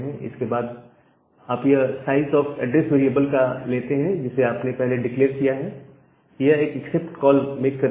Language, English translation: Hindi, And then you take this size of this address variable that you have declared and make a accept call